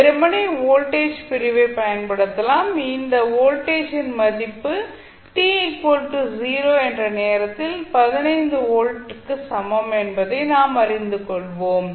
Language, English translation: Tamil, You can simply use the voltage division and you will come to know that the value of this voltage at time t is equal to 0 is nothing but 15 volt